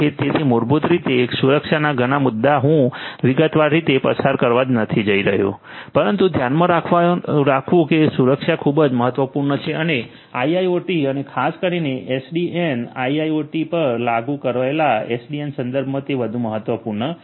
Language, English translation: Gujarati, So, basically security issues I am not going to go through in detail, but the mind you that security is very important and it is even more important in the context of IIoT and particularly SDN, you know SDN implemented on IIoT